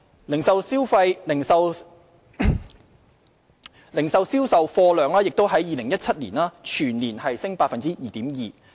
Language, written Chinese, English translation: Cantonese, 零售業總銷貨價值亦在2017年全年升 2.2%。, The value of total retail sales also saw an annual growth of 2.2 % in 2017